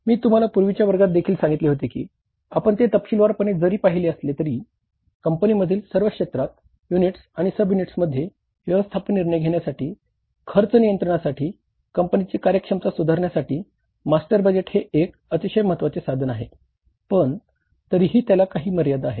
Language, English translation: Marathi, I told you in the previous class also that though we have seen it in detail that the master budget is a very very important tool for the management decision making for the cost control for improving the performance of the company in all areas units and subunits but still it has some limitations